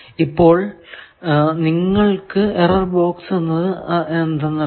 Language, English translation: Malayalam, So, you know error boxes